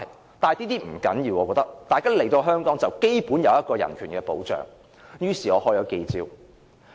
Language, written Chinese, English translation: Cantonese, 我覺得這不重要，大家來到香港便應受到基本人權保障，於是我召開記者招待會。, Yet I believed this was not the main point . We should protect their human rights as long as they have come to Hong Kong . Therefore I held the press conference